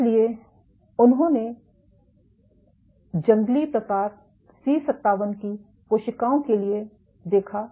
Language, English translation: Hindi, So, what they observed was for C57 cells, which is wild type